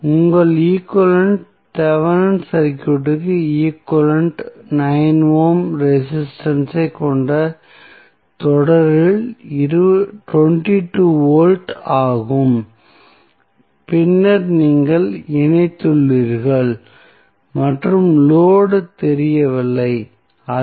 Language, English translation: Tamil, So, your equivalent, Thevenin equivalent of the circuit would be the 22 volt in series with 9 ohm resistance and then you have connected and unknown the load that is Rl